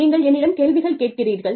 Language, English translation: Tamil, You ask me questions